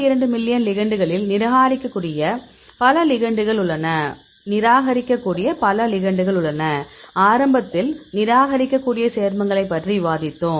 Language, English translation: Tamil, 2 million ligands; several ligands we can reject; because I discussed about the compounds which you can reject at the beginning